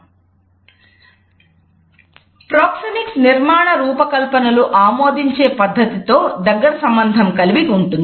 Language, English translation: Telugu, Proxemics also very closely related with the way architectural designs are put across